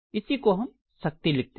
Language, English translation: Hindi, This is what we normally write as the power